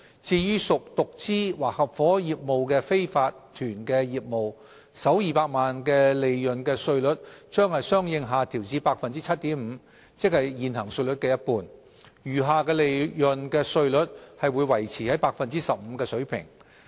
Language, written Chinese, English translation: Cantonese, 至於屬獨資或合夥業務的非法團業務，首200萬元利潤的稅率將相應下調至 7.5%， 即現行稅率的一半，餘下利潤的稅率則維持在 15% 的水平。, As for unincorporated businesses which are mostly sole proprietorships or partnerships the first 2 million of their profits will be lowered correspondingly to 7.5 % and the tax rate for the remaining profits will be maintained at 15 %